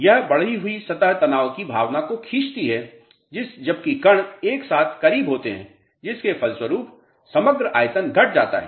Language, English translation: Hindi, This increased surface tension tends to pull at the sense while particles closer together resulting in overall volume decrease